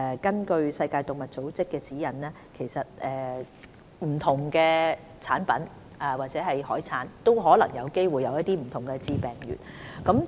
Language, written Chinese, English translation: Cantonese, 根據世界動物衞生組織的指引，不同產品或海產也有機會含有不同的致病原。, According to the guidelines of OIE various products or seafood may also possibly carry different pathogens